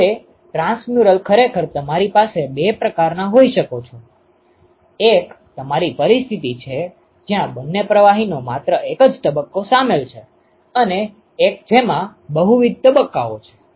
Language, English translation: Gujarati, Now, in transmural you can actually have two types: one you have a situation, where only single phase of both the fluids are involved and one in which there is multiple phases